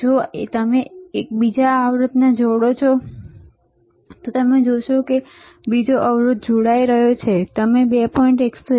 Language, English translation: Gujarati, If you connect to another resistor, you will see another resistor is connecting and we are getting the value around 2